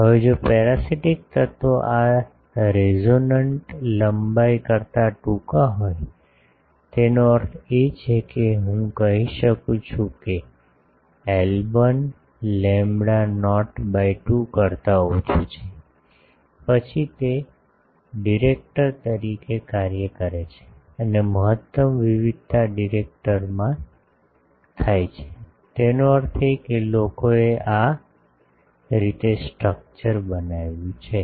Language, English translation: Gujarati, Now, if the parasitic element is shorter than this resonant length; that means, I can say l 1 is less than lambda not by 2, then it acts as a director and maximum variation occurs in the director; that means, people have made the structure like this that